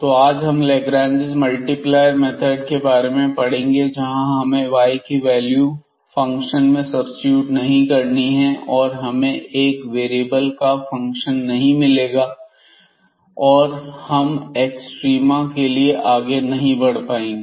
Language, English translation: Hindi, So, today we will have this method of Lagrange multiplier where we do not have to substitute the value of y in this one and then getting a function of 1 variable and proceeding further for extrema